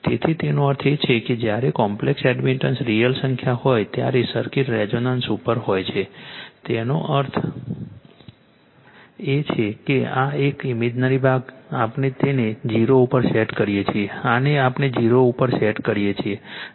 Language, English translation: Gujarati, So, this this means; that means, circuit is at resonance when the complex admittance is a real number; that means, this one thisthis one this imaginary part we set it to 0 this one we set is to 0